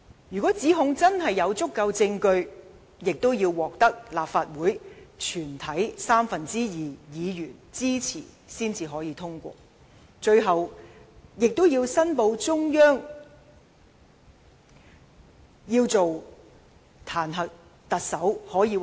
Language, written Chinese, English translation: Cantonese, 如果指控有足夠證據，亦要獲立法會全體三分之二議員支持才可以通過，最後並報請中央決定解除特首職務。, If the committee considers the evidence sufficient to substantiate the charges the Council may pass a motion of impeachment by a two - thirds majority of all its Members and report it to the Central Peoples Government for decision of the Chief Executives removal